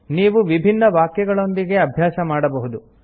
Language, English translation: Kannada, You can keep practicing with different sentences